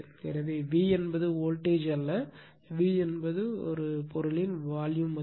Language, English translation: Tamil, So, your V is not the voltage, V is the value of the material right